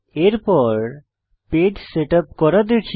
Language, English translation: Bengali, Next lets see how to setup a page